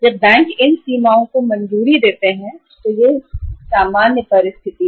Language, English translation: Hindi, Banks when uh sanction these limits this is the normal situation